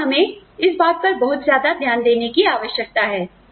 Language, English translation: Hindi, And, we need to pay a lot of attention to this